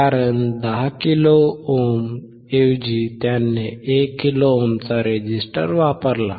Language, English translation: Marathi, Because instead of 10 kilo ohm, he used a resistor of one kilo ohm